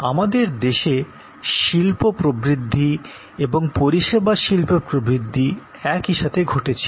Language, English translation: Bengali, Our industrial growth and service industry growth kind of happened together